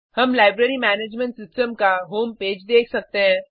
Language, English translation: Hindi, We can see the Home Page of Library Management System